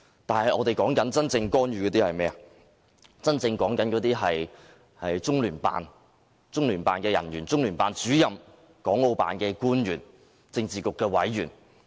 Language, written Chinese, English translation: Cantonese, 是中央人民政府駐香港特別行政區聯絡辦公室、中聯辦人員、中聯辦主任、國務院港澳事務辦公室官員、政治局委員。, They are the Liaison Office of the Central Peoples Government in the Hong Kong Special Administrative Region LOCPG including its personnel and its Director the officials of the Hong Kong and Macao Affairs Office of the State Council HKMAO as well as the members of the Politburo